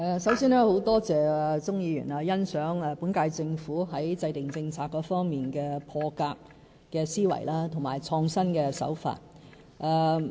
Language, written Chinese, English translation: Cantonese, 首先，很感謝鍾議員欣賞本屆政府在制訂政策方面的破格思維及創新的手法。, First of all I wish to thank Mr CHUNG for his approval of the current Governments unconventional mindset and innovative approach in policy formulation